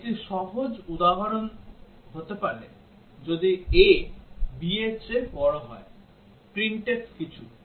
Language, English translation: Bengali, One simple example could be if a greater than b, printf something